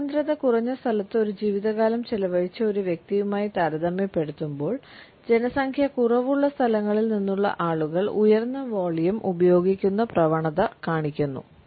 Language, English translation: Malayalam, In comparison to a person who has spent a life time in sparsely populated place and those people who are from less populated places tend to use a higher volume